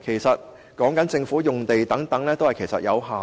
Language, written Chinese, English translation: Cantonese, 不過，所涉及的地方其實有限。, But the places involved are limited